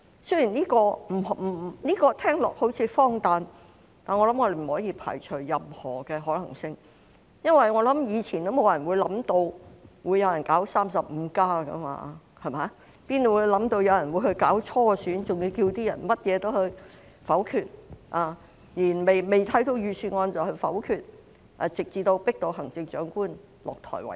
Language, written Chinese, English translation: Cantonese, 雖然這聽起來好像很荒誕，但我們不可以排除任何可能性，以往也沒有人想到會有人搞 "35+"， 我們哪會想到有人會搞初選，還要求參選人當選後甚麼也要否決，連未看過的預算案也要否決，直至迫使行政長官下台為止？, Although this may sound absurd we cannot rule out any possibility . In the past no one would have thought that some people would stage 35 . How could we have thought that some people would stage a primary election and request the candidates to veto everything after being elected including the Budget which they had not even read until the Chief Executive is forced to step down?